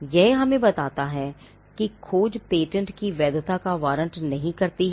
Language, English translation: Hindi, This tells us that the search does not warrant the validity of a patent